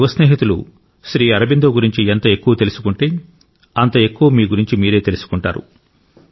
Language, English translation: Telugu, The more my young friends learn about SriAurobindo, greater will they learn about themselves, enriching themselves